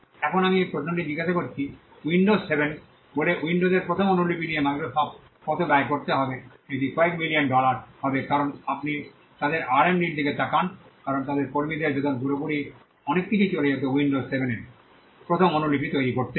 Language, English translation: Bengali, Now I asked this question how much does it cost Microsoft to come up with a first copy of windows say windows 7, it will be a few million dollars because you look at their R&D their investment their staff salaries a whole lot of things would have gone into creating the first copy of windows 7